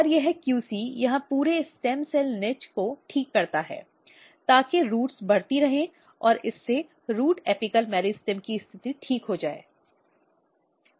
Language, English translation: Hindi, And this QC basically recovers entire stem cell niche here, so that root continue growing and this will basically leads to the recovered state of the root apical meristem